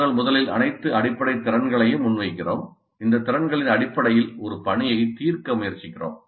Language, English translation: Tamil, So we present first all the basic skills then we try to solve a task based on these competencies